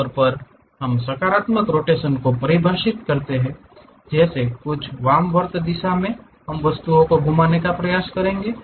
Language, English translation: Hindi, Usually we define positive rotation, something like in counterclockwise direction we will try to rotate the objects